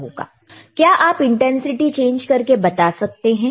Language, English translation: Hindi, So, can we please show the change in intensity